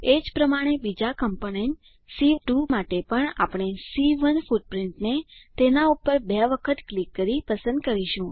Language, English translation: Gujarati, Similarly for second component C2 also we will choose footprint C1 by double clicking on it